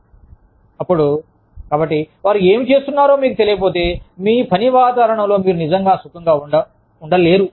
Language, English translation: Telugu, Then, so, unless, you know, what they are doing, you cannot really feel comfortable, in your work environment